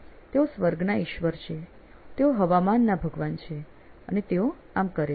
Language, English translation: Gujarati, He is the Lord of the heavens, Lord of the weather and that is what he does